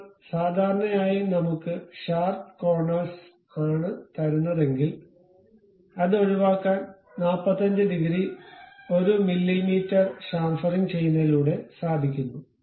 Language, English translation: Malayalam, Now, usually we give this the the sharp corners we avoid it by going with chamfering this chamfering we can go with 1 mm with 45 degrees